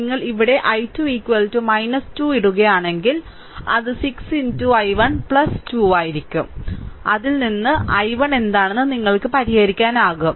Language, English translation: Malayalam, If you put i 2 is equal to minus 2 here, it will be 6 into i 1 plus 2 and from that you can solve it what is i 1 right